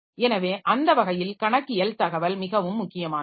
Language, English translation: Tamil, So, that way the accounting information is very important